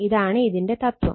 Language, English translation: Malayalam, This is the philosophy